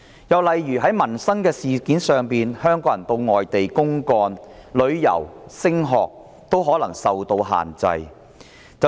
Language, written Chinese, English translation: Cantonese, 又例如在民生方面，香港人前往外地公幹、旅遊及升學均可能受到限制。, Another example is peoples livelihood . Hong Kong people going abroad for business leisure travel or studies may be subject to restrictions